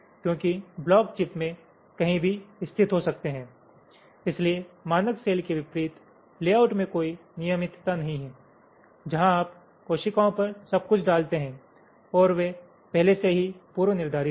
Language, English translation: Hindi, so there is no regularity in the layout, unlike the standard cell where you put everything on the cells and they are already predesigned